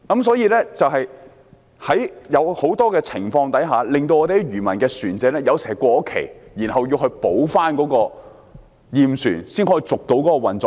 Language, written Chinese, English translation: Cantonese, 所以，在很多情況下，有時會令漁民的船隻過期，要補回驗船才能為運作牌照續期。, Hence the Operating Licences of some fishermen will expire under many circumstances and they can only be renewed after the vessels have gone through the surveys